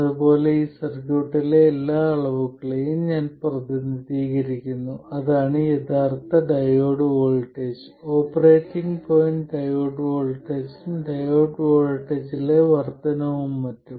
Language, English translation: Malayalam, And similarly I represent every quantity in the circuit, that is the actual diode voltage as the original diode voltage, the operating point diode voltage plus an increment in the diode voltage and so on